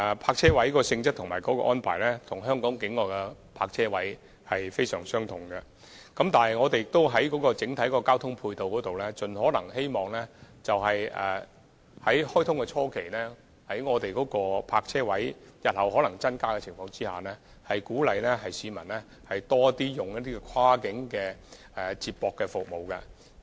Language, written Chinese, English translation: Cantonese, 泊車位的性質及安排，與香港境內的其他泊車位非常相同，但在整體交通配套方面，在大橋開通初期，當局希望在泊車位日後可能增加之餘，鼓勵市民更多使用跨境接駁服務。, The nature and arrangement of the parking spaces will be very similar to those of other parking spaces in the territory . But as for the overall transport support at the initial stage of commissioning of HZMB the authorities will encourage the public to use more cross - boundary feeder services apart from considering increasing the number of parking spaces